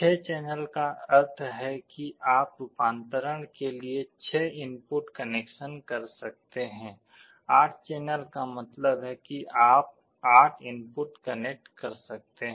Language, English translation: Hindi, 6 channel means you could connect 6 inputs for conversion; 8 channel means you could connect 8 inputs